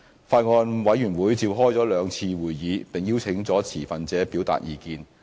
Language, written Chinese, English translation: Cantonese, 法案委員會召開了兩次會議，並邀請了持份者表達意見。, The Bills Committee has held two meetings and invited stakeholders to express their opinions